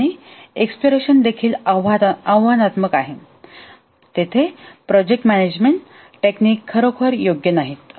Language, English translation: Marathi, And also the exploration is too challenging and there the project management techniques are not really suitable